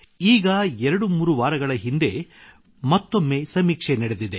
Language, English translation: Kannada, Just twothree weeks ago, the survey was conducted again